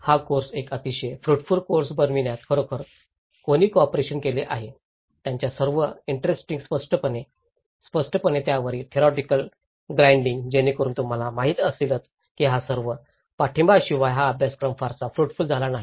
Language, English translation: Marathi, Who have really cooperated with us in making this course a very fruitful course, with his all very interesting illustrations, explanations, the theoretical grinding on it so you know, thatís this course without all this support it has not been very fruitful